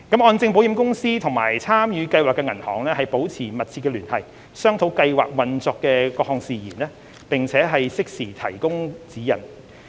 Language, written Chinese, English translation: Cantonese, 按證保險公司與參與計劃的銀行保持密切聯繫，商討計劃運作的各項事宜，並適時提供指引。, HKMCI has been maintaining close communication with the participating banks to discuss various operational matters of the scheme and to provide timely guidance